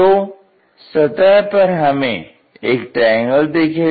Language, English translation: Hindi, So, we will see a triangle is the surface